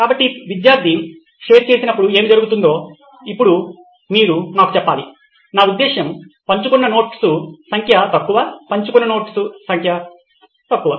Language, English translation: Telugu, So, now you have to tell me what happens when the student shares, I mean number of notes shared are low, number of notes shared is low